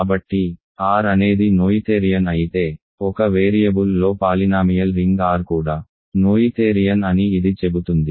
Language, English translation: Telugu, So, this says that if R is noetherian then the polynomial ring in one variable in over R is also noetherian